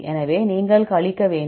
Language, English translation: Tamil, So, you have to subtract